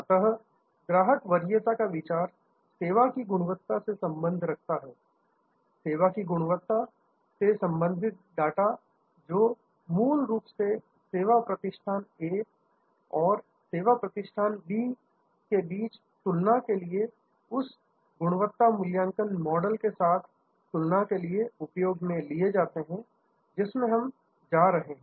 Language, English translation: Hindi, So, the idea of customer preference is correlated with service quality, the data for service quality, which is fundamentally to be used for comparison between service establishment A and service establishment B or for comparison with in that quality assessment model itself, which we are going to discuss just now